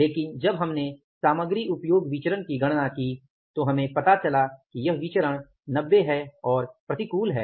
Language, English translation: Hindi, But when you calculated the material usage variance we found out that this variance is 90 adverse